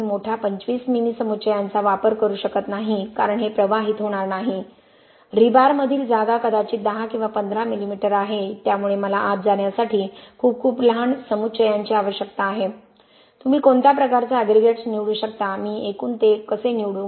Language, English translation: Marathi, I canÕt use larger 25 mm aggregates because this wonÕt flow, the space between rebar is probably 10 or 15 mm so I need very very small aggregates to go in what kind of aggregates you can choose, how do I choose those family of aggregates